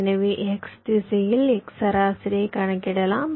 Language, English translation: Tamil, so, along the x direction, you calculate the x mean